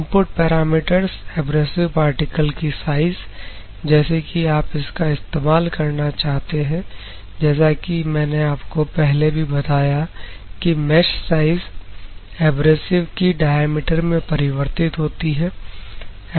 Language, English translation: Hindi, So, input parameters mesh size of the abrasive particles; whether you want to go for thousand mesh size, as I already said you that to the mesh size conversion into the abrasive diameter